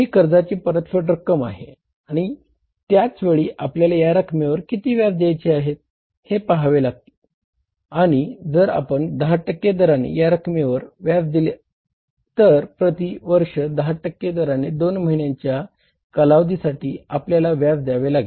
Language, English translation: Marathi, This is a repayment of the loan and at the same time we have to work the interest on this amount and you work out the interest on this amount at the rate of 10% on this borrowing of 15,500 at the rate of 10% per annum for a period of how many two months